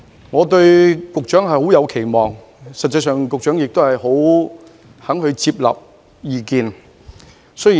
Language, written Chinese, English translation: Cantonese, 我對局長抱有很高期望，而局長亦十分願意接納意見。, I have high expectations of the Secretary and appreciate his willingness to take advice